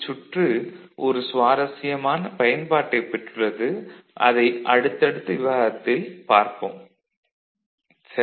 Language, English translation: Tamil, It has got its interesting use we shall see in the subsequent discussion right